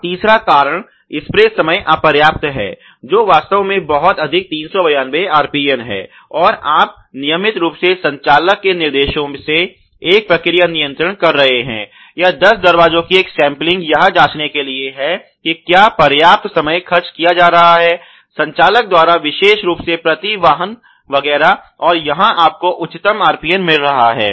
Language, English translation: Hindi, And the third cause is the spray time insufficient which is in fact very high 392 and RPN, and you know here you are having a process control of operator instructions regularly or lots sampling of ten doors a shift to check whether the sufficient time is being spend by the operator one particularly per vehicle etcetera, and here you are getting the highest RPN